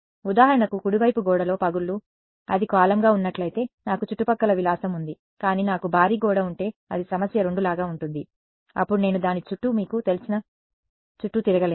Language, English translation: Telugu, For example, cracks in the wall right, if it were a column then I have the luxury of surrounding, but if I have a huge wall then it is like problem 2 then I cannot go around you know around it